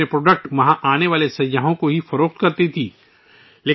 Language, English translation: Urdu, Earlier they used to sell their products only to the tourists coming there